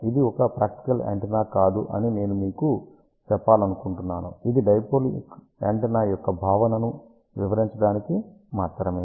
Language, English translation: Telugu, I just want to tell you this is not a practical antenna at all this is just to explain the concept of the dipole antenna